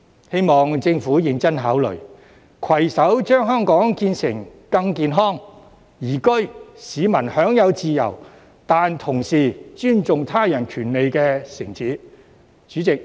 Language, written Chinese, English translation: Cantonese, 希望政府認真考慮，攜手將香港建設成更健康、宜居、市民享有自由但同時尊重他人權利的城市。, I hope the Government will give serious thought to this and make concerted efforts to turn Hong Kong into a healthier and more livable city where people can enjoy freedom while respecting the rights of others at the same time